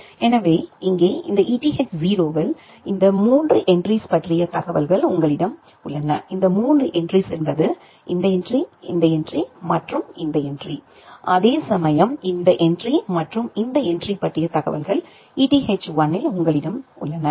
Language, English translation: Tamil, So, here in this Eth0 you have the information about these 3 entries; these 3 entries means, this entry, this entry and this entry, whereas here, you have the information about this entry and this entry at Eth1